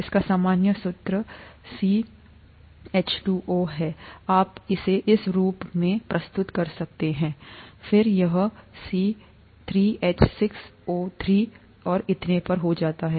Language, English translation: Hindi, It has the general formula N, you could represent it as 3, then it becomes C3H603 and so on